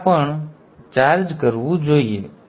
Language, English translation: Gujarati, So this should also charge up this